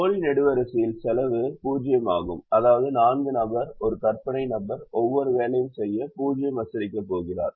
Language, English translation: Tamil, what is called a dummy column, and the cost in the dummy column is zero, which means the fourth person, who is an imaginary person, is going to charge zero to do every job